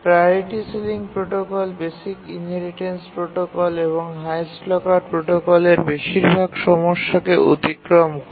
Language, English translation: Bengali, The priority sealing protocol overcame most of the problem of the basic inheritance protocol and the highest locker protocol